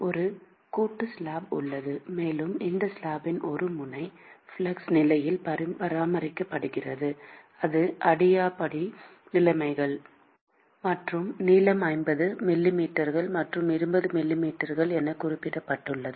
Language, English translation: Tamil, There is a composite slab, and one end of this slab is maintained at no flux condition that is adiabatic conditions; and the length is specified as 50 millimeters and 20 millimeters